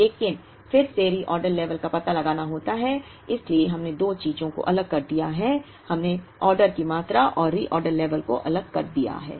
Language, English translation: Hindi, But, then the reorder level has to be found out so we have separated two things, we have separated the order quantity and the reorder level